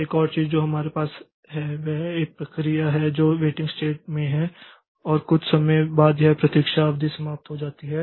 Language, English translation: Hindi, Another thing that we have is a process was in a waiting state and after some time this weight period is over